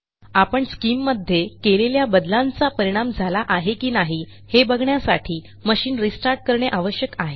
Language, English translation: Marathi, We will have to restart the machine to ensure that SCIM changes have taken effect